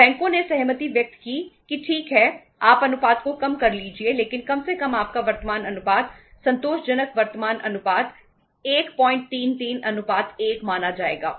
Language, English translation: Hindi, So banks agreed that okay you reduce the ratio but at least your current ratio, the satisfactory current ratio will be considered which is 1